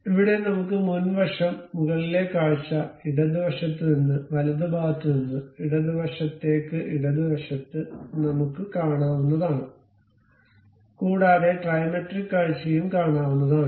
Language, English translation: Malayalam, What we can see is something like front view here, top view here, from left side from right side to left side if you are seeing left side view what we are seeing there, and whatever the trimetric view